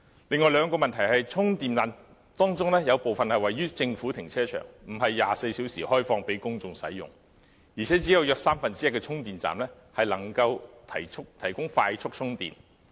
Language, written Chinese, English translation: Cantonese, 另外兩個問題是，充電站當中，有部分是位於政府停車場，並非24小時開放給公眾使用，而且約只有三分之一的充電站能夠提供快速充電。, There are two other problems . Among the charging stations part of them are located in government car parks which are not open for public use round the clock . And only about one third of charging stations can provide fast charging service